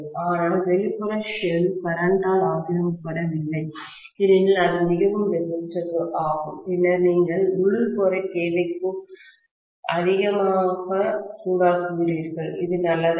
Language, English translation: Tamil, So, if the outer shell is not occupied by the current, because it is highly resistive, then you are overheating the inner core, which is not good, right